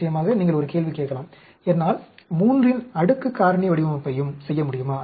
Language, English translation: Tamil, Of course, you may ask the question, can I do a 3 power end raised factorial design